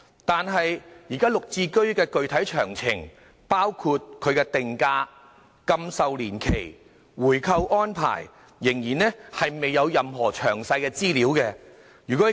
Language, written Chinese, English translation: Cantonese, 但是，現時"綠置居"的具體詳情，包括定價、禁售年期及回購安排，仍然未有任何詳細資料。, However the details of GSH such as its pricing lock - up period and buy - back arrangement are still not available